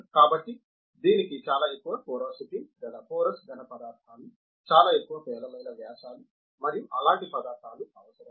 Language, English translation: Telugu, So, this is requires porous solids of very high porosity, very high poor diameters and their things